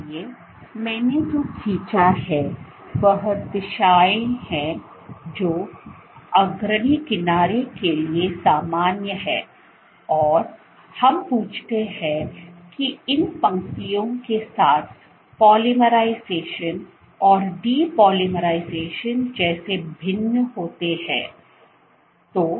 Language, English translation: Hindi, So, what I have drawn are directions which are normal to the leading edge and we ask that how does polymerization and depolymerization vary along these lines